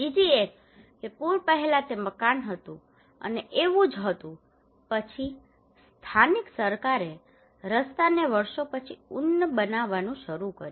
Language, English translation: Gujarati, Another one is that before the flood, it was a house and it was like that, then the local government started to elevate the road okay simply elevated the road year after year